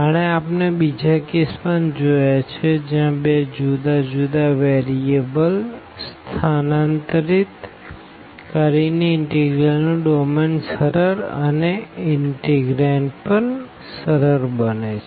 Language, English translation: Gujarati, But we have seen the other cases as well where by substituting two different variables makes the domain of the integral easier and also the integrand easier